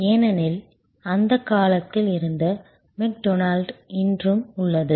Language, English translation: Tamil, Because, McDonald's was at that time remains today